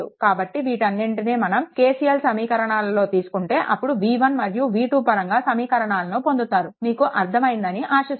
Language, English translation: Telugu, So, all these things will put in those KCL equations then we will get the equations in terms of v 1 and v 2 so, hope this is understandable